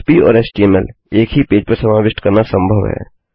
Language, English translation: Hindi, It is possible to incorporate Php and HTML on one page